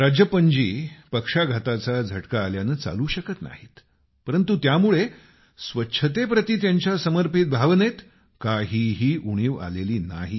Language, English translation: Marathi, Due to paralysis, Rajappan is incapable of walking, but this has not affected his commitment to cleanliness